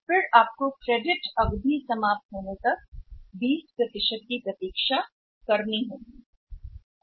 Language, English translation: Hindi, So, you have to wait for the 20 % till the credit period ends